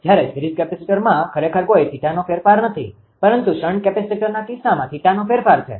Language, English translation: Gujarati, Whereas, series capacitor actually there is no change of theta but in the case of shunt capacitor there is a change of theta right